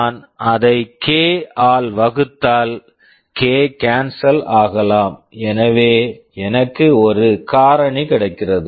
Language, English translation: Tamil, If I divided by that, k, k can cancels out, so I get a factor